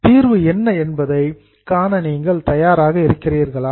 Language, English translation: Tamil, Are you ready to see the solution